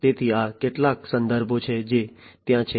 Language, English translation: Gujarati, So, these are some of these references that are there